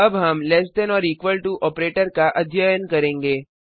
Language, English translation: Hindi, Now we have the less than or equal to operator